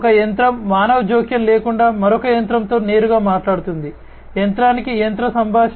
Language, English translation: Telugu, One machine directly talking to another machine without any human intervention, machine to machine communication